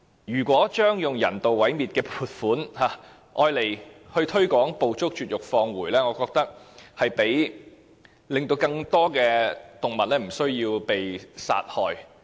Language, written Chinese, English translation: Cantonese, 如果將用人道毀滅的撥款用作推廣"捕捉、絕育、放回"計劃，我認為將可令更多動物免於被殺害。, If the provision earmarked for euthanization can be used to promote the Trap - Neuter - Return programme I think more animals can escape from being killed